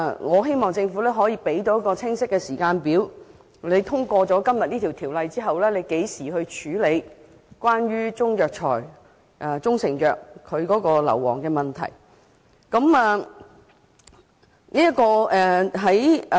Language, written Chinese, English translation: Cantonese, 我希望政府能提供清晰的時間表，說明《條例草案》於今天通過後，將何時處理關於中藥材或中成藥的二氧化硫含量問題。, I hope that the Government can provide a clear timetable stating when the problem of sulphur dioxide content in Chinese herbal medicines or proprietary Chinese medicines will be addressed after the passage of the Bill today